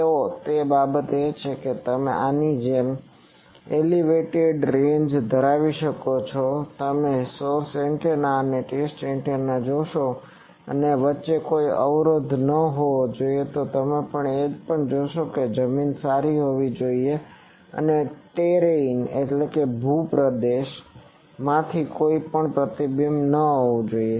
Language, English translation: Gujarati, So one of the thing is you can have elevated ranges like this you see source antenna and test antenna and in between there should not be any obstruction and also you see the ground should be terrain should be smooth and from the terrain there should not be any reflection